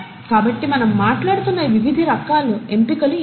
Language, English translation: Telugu, So what are these different kinds of selections that we are talking about